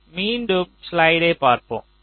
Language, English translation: Tamil, you look at the slide once again